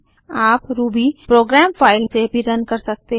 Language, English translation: Hindi, You can also run Ruby program from a file